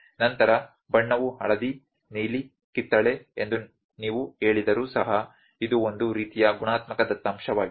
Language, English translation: Kannada, Then even if you say colour is yellow blue orange, this is also a kind of qualitative data